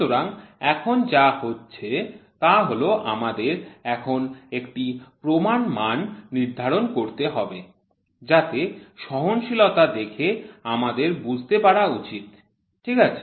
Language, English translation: Bengali, So, now what is happening we have to now set a standard, so that by looking at the tolerance we should be able to understand, ok